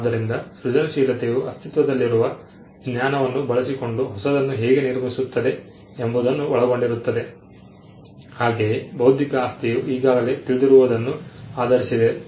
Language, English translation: Kannada, So, just how creativity comprises of building on existing knowledge, so also intellectual property is something which is build on what is already known